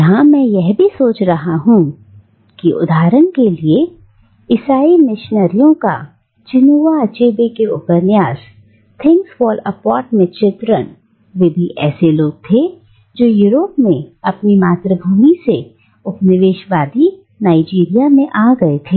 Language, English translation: Hindi, And I am also thinking, for instance, of the Christian missionaries as depicted in Chinua Achebe's novel Things Fall Apart who again, are people who have come to Nigeria, the colonial periphery from the mother country in Europe